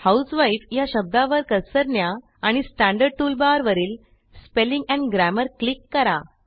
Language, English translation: Marathi, Now place the cursor on the word husewife and click on the Spelling and Grammar icon in the standard tool bar